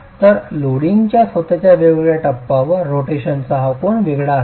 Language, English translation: Marathi, So this angle of rotation is going to be different at different stages of the loading itself